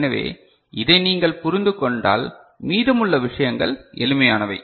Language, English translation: Tamil, So, if you have understood this, then rest of the things are simpler